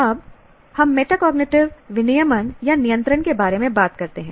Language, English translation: Hindi, Now we talk about metacognitive regulation or control